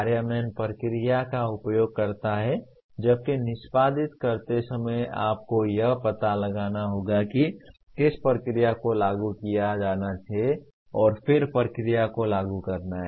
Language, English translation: Hindi, Implement is use the procedure whereas in execute you have to identify what procedure to be applied and then apply the procedure